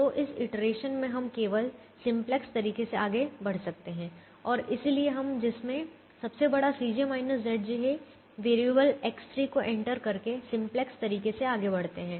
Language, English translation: Hindi, so in this iteration we can proceed only the simplex way and therefore we proceed in the simplex way by entering variable x three which has the largest c j minus z j